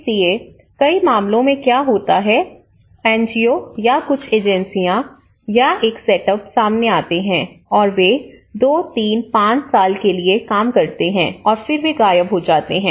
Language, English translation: Hindi, So, what happens is many at cases, the NGOs come forward or some agencies or a setup will come forward, they work for 2, 3, 5 years and then, they close the whole basket